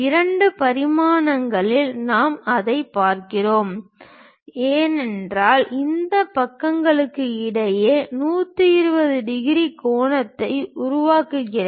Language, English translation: Tamil, In two dimensions if we are seeing that, it makes 120 degrees angle, in between these sides